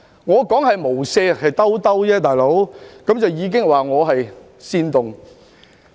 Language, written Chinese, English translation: Cantonese, 我說"無赦"只是"兜一兜"，便已被說成是煽動。, I said no mercy just to smooth things out but it had been described as an incitement